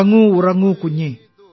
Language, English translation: Malayalam, "Sleep, sleep, baby,